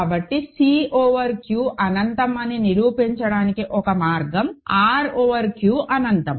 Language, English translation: Telugu, So, one way to prove that C over Q is infinities through that R over Q is infinity